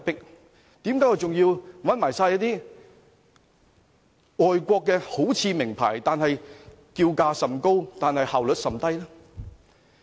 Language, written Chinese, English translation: Cantonese, 為甚麼我們還要用外國的，好像名牌、叫價甚高但效率甚低的顧問呢？, Why do we stick to using brand - name overseas consultancies which ask for pricey fees but deliver ineffective services?